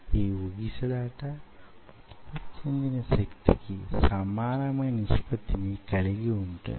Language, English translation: Telugu, so this oscillation is directly proportional to the force generated